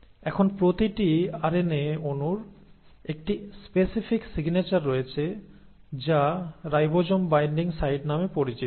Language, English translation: Bengali, So now each RNA molecule also has a specific signature which is called as the ribosome binding site